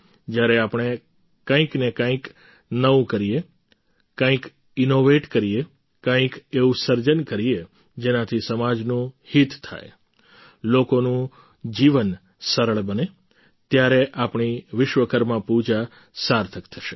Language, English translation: Gujarati, When we do something new, innovate something, create something that will benefit the society, make people's life easier, then our Vishwakarma Puja will be meaningful